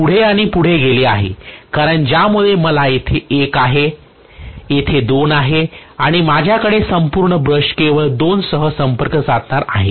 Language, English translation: Marathi, This has moved further and further because of which I am going to have here is 1 here is 2 and I am going to have the entire brush making contact only with 2